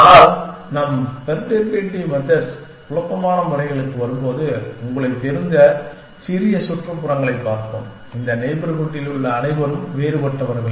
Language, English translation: Tamil, But, when we come to perturbative methods, we will look at smaller neighborhoods where you know, all those in this the neighborhood is different